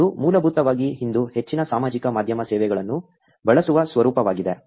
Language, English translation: Kannada, It is basically the format that most social media services use today